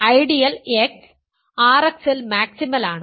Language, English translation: Malayalam, The ideal X is maximal in R X